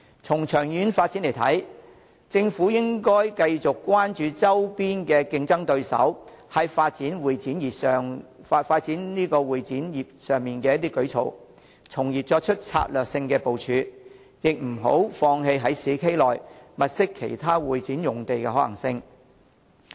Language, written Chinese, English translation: Cantonese, 從長遠發展的需要來看，政府應該繼續關注周邊競爭對手在發展會展業上的舉措，從而作出策略性的部署，亦不要放棄在市區內物色其他會展用地的可行性。, As far as long - term development needs are concerned the Government should continue to pay attention to the measures adopted by neighbouring competitors to develop the convention and exhibition industry thus taking strategic moves; it should not refrain from giving up the feasibility of identifying other sites for convention and exhibition in the urban areas